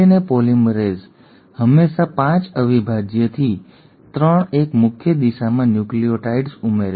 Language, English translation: Gujarati, And DNA polymerase always adds nucleotides in a 5 prime to 3 a prime direction